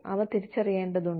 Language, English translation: Malayalam, They need to be perceived